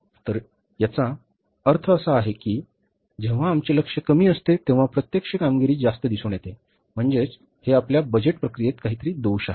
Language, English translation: Marathi, So, it means when our target was less, actual performance is more, it shows that there is some defect in our budgetary process